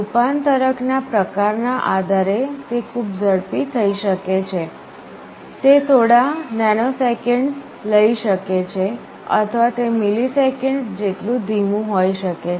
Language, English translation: Gujarati, Depending on the type of converter it can be very fast, it can take few nanoseconds, or it can be quite slow of the order of milliseconds